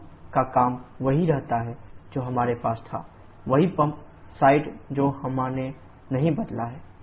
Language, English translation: Hindi, The pump work remains the same that we had the same pump side we have not change the pump work was 39